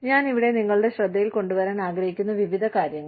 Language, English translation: Malayalam, Various things, that I want to bring to your notice, here